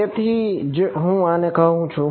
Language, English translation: Gujarati, So, that is why I called it a